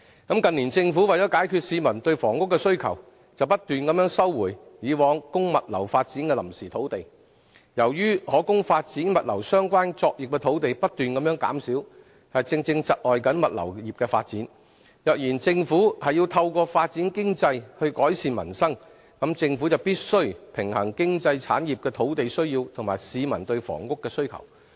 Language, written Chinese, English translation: Cantonese, 近年政府為解決市民對房屋的需求，不斷收回以往供物流發展的臨時土地，由於可供發展物流相關作業的土地不斷減少，正正窒礙物流業的發展，如果政府要透過發展經濟來改善民生，政府便必須平衡經濟產業的土地需要及市民對房屋的需求。, The Government have rolled out various measures to underpin the development of the maritime and logistics industries including the establishment of the Hong Kong Maritime and Port Board finalizing the Three - Runway System at HKIA allocating additional land resources for logistics development by earmarking sites in Tuen Mun West Hung Shui Kiu Yuen Long South new development area NDA and the topside of the boundary crossing facilities island of the HZMB; putting forward the Proposals for Enhancing the Use of Port Back‐up Land i